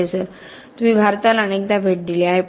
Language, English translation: Marathi, Professor: You have visited India several times